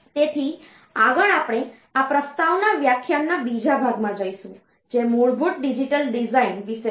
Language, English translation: Gujarati, So, next we will go to another part of this introduction lecture, which is about the basic digital design